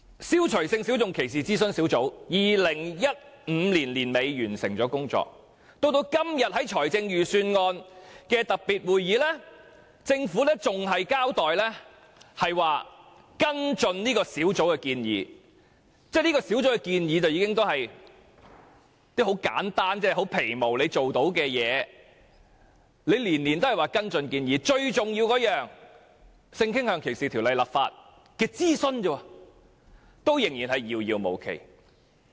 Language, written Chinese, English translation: Cantonese, 消除歧視性小眾諮詢小組早在2015年年底已完成了工作，但在今天的預算案特別會議上，政府仍只說會跟進這小組的建議——這小組所提出的建議均十分簡單及基本，政府定能做到，但每年均只說會跟進建議，至於就為性傾向歧視立法進行公眾諮詢這項最重要的工作，卻仍然遙遙無期。, The Advisory Group on Eliminating Discrimination Against Sexual Minorities already completed its work at the end of 2015 but the Government only says in this special Budget meeting that it will continue to follow up with the Advisory Groups recommendations . The proposals put forward by the Advisory Group are some very simple and basis measures which the Government should surely be able to implement . Yet the Government only says it will follow up with the recommendations and repeat this every year